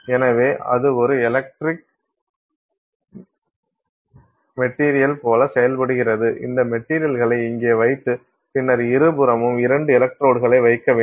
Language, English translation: Tamil, So, it then behaves like a dielectric material you put this material here and then on either side you put to electrodes